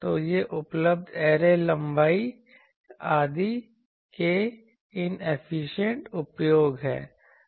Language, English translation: Hindi, So, these are inefficient use of the available array length etc